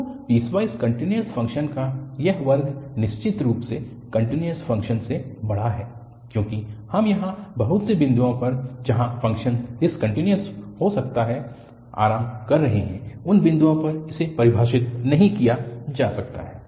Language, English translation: Hindi, So, this class of piecewise continuous function is bigger than ofcourse the continuous functions, because we are relaxing here to have finitely many points where the function may be discontinuous or it may not be defined at those points